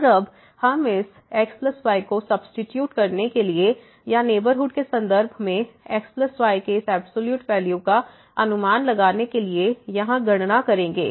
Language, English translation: Hindi, And now, we will make a calculation here to substitute this plus or to estimate this absolute value of plus in terms of the neighborhood